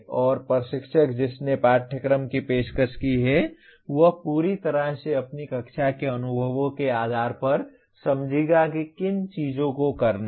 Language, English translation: Hindi, And the instructor who offered the course will fully understand based on his classroom experiences what more things to be done